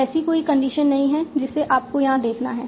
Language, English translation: Hindi, There is no condition that you have to see here